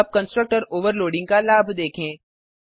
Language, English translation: Hindi, Let us see the advantage of constructor overloading